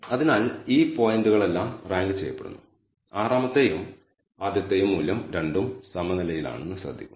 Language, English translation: Malayalam, So, we are ranked all of these points notice that the sixth and the first value both are tied